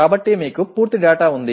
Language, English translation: Telugu, So you have complete data